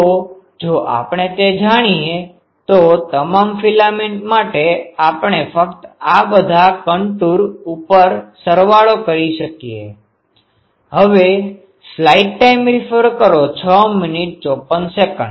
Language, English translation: Gujarati, So, if we know that then for all the filaments we can just some that will be sum over all this contour